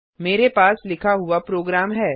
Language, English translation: Hindi, I have a written program